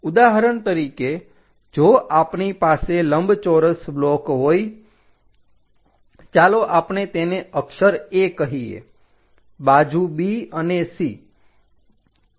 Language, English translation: Gujarati, For example, if we have a rectangular block, let us call letter A, side B and C